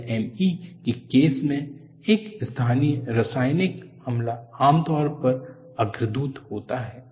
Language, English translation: Hindi, In the case of LME, local chemical attack is usually a precursor